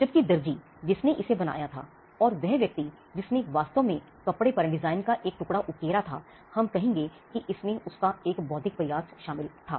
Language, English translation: Hindi, Whereas the tailor who did it, or the person who actually embroidered a piece of design on a cloth, we would say that that involved an intellectual effort